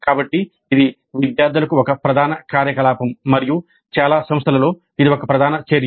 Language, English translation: Telugu, So it is a major activity for the students and in most of the institutes this is a core activity